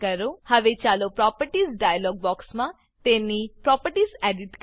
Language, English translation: Gujarati, Now lets edit its properties in the Properties dialog box